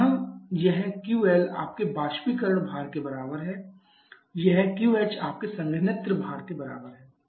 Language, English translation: Hindi, So, here this is sorry this Q L is equal to your evaporator load this Q H is equal to your condenser load